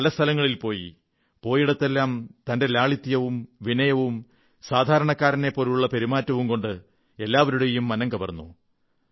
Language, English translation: Malayalam, And wherever he went he won hearts through his straightforwardness, humility and simplicity